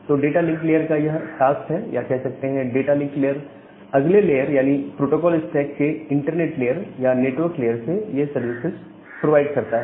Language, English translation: Hindi, So, that is the task of the data link layer or that is the services, which is provided by the data link layer to the next layer that is the internet layer or the network layer of the protocol stack